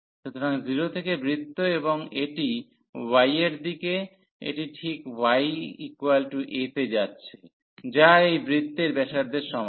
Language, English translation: Bengali, So, from 0 to the circle and it in the direction of y it is exactly going to y is equal to a that is the radius of this circle